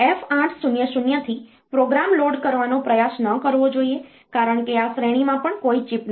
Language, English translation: Gujarati, And there similarly you should not try to load the program from F800 onwards because in this range also there is no chip